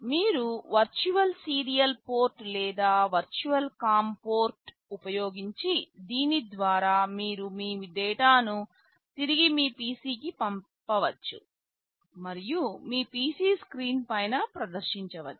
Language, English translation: Telugu, You can use a virtual serial port or virtual com port through which some of the data you can send back to your PC and display on your PC screen